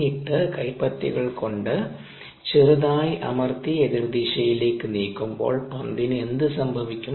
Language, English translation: Malayalam, and then when we slightly press and move the palms in opposite directions, what happens to the ball